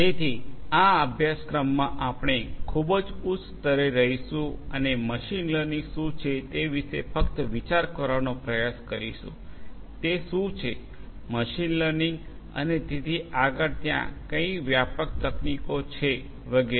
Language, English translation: Gujarati, So, in this course we will be at a very higher level and we will try to get just an idea about what is machine learning; what is what; what are the broad techniques that are there in machine learning and so on